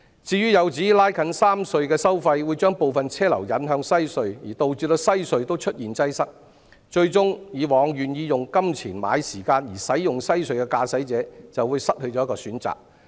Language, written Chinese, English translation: Cantonese, 至於有指拉近三隧收費會把部分車流引向西隧，導致西隧也出現擠塞，最終以往願意用金錢買時間而使用西隧的駕駛者，就會失去了一個選擇。, Some people say that when the toll levels of the three tunnels are drawn closer some traffic flow will be diverted to WHC leading to traffic congestion there and eventually the loss of one option for motorists who were willing to pay more for using WHC in exchange for less travel time